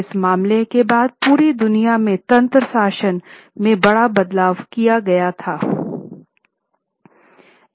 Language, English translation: Hindi, After this case, major changes were made in the governance mechanism all over the world